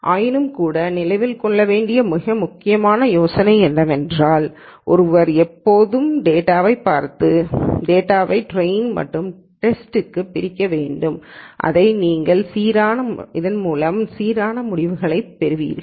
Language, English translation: Tamil, Nonetheless the most important idea to remember is that one should always look at data and partition the data into training and testing so that you get results that are consistent